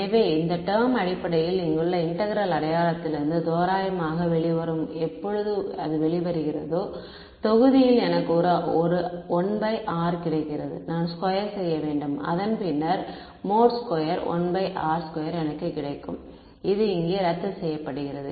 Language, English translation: Tamil, So, this term basically will approximately come out of the integral sign over here; when it comes out I have a 1 by r in the denominator I have to square it take its mod squared I get a 1 by r square, and that cancels of with this r squared over here ok